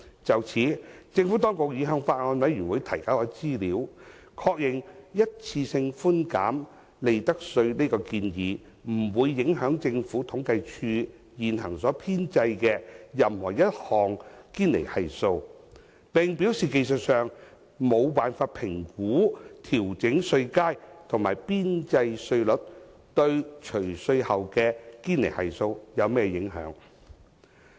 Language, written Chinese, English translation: Cantonese, 就此，政府當局已向法案委員會提交資料，確認一次性寬減利得稅這建議不會影響政府統計處現行所編製的任何一項堅尼系數，並表示技術上無法評估調整稅階和邊際稅率對除稅後的堅尼系數有何影響。, In this connection the Administration has provided the Bills Committee with information to confirm that the proposed one - off reduction of profits tax has no impact on any of the existing Gini Coefficients compiled by the Census and Statistics Department adding that it is technically not feasible to assess the impact of the adjustments to tax bands and marginal rates on the post - tax Gini Coefficients